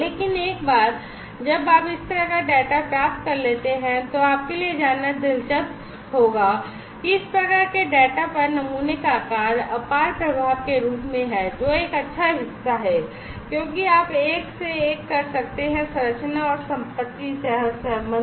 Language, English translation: Hindi, But once you get this kind of data it will be interesting for you to know, that the type of sample that the morphology of the sample as immense influence on this kind of data, which is one good part because you can do a one to one structure and property correlations